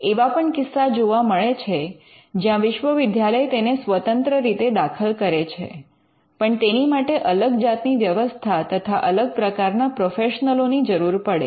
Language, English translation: Gujarati, There are instances where the universities can also file it internally, but it will require a different kind of a setup and different kind of professionals to do that